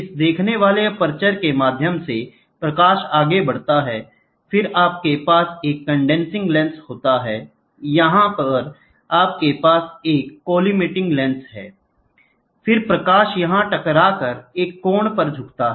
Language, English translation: Hindi, So, this through this viewing aperture, the light goes further, then you have a here it is a condensing lens, here it is a collimating lens you have, then this hits and that the light bends at an angle